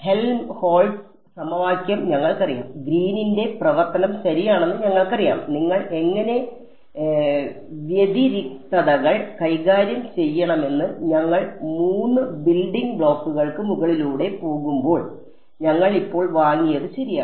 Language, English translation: Malayalam, We knew the Helmholtz equation we knew Green's function right and when you how to deal with singularities go over the three building blocks which we have buy now very comfortable with ok